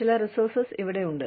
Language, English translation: Malayalam, Some resources here